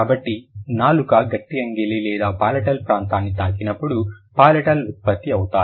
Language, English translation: Telugu, So palatiles are produced when the tongue touches the hard palate or the palatal area